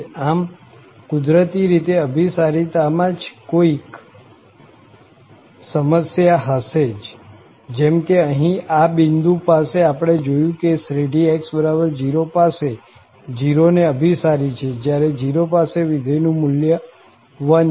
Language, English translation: Gujarati, So, naturally, there must be some issues on the convergence, like, we have seen here at this point itself that x equal 0, the series converges clearly to 0 whereas, the function value at 0 is 1